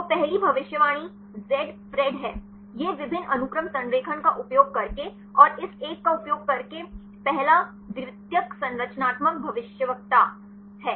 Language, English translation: Hindi, So, the first predict is Zpred; this is the first secondary structural predictor using multiple sequence alignment and using this one